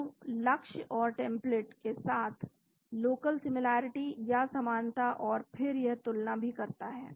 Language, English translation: Hindi, Both the local similarity with the target and template and then it also compares